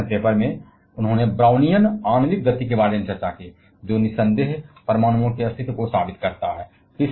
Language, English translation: Hindi, In his section paper, he discussed about the Brownian molecular motion; which undoubtedly proved the existence of atoms